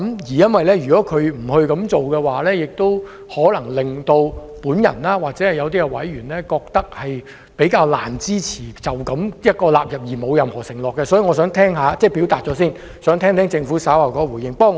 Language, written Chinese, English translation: Cantonese, 如果政府不會這樣做，或會令我或一些委員認為較難支持這樣納入條文，而沒有任何承諾，所以我想先表達，然後聽聽政府稍後的回應。, If the Government does not do so it may make me or certain members consider it rather difficult to support the inclusion of the clause in the absence of an undertaking . Hence I would like to make my point first and listen to the response of the Government shortly